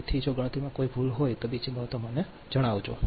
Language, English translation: Gujarati, so if there is any mistake in calculation other things, just let me know